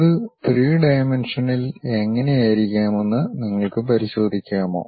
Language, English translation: Malayalam, Can you take a look at it how it might be in three dimension, ok